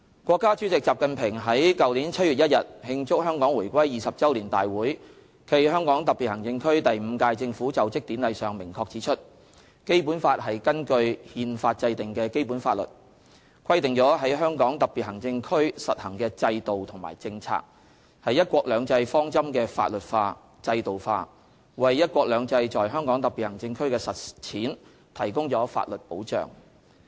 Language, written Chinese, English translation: Cantonese, 國家主席習近平在去年7月1日慶祝香港回歸20周年大會暨香港特別行政區第五屆政府就職典禮上明確指出："《基本法》是根據《憲法》制定的基本法律，規定了在香港特別行政區實行的制度和政策，是'一國兩制'方針的法律化、制度化，為'一國兩制'在香港特別行政區的實踐提供了法律保障。, At the Celebrations of the 20 Anniversary of Hong Kongs Return to the Motherland and the Inaugural Ceremony of the Fifth Term Government of the HKSAR on 1 July last year President XI Jinping clearly stated that [t]he Basic Law is a basic legislation enacted in accordance with the Constitution . It stipulates the systems and policies practised in HKSAR codifies into law and makes institutional arrangement for the principle of one country two systems and provides legal safeguards for the practice of one country two systems in HKSAR